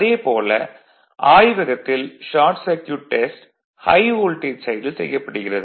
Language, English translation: Tamil, But short circuit test in the laboratory performed on the high voltage side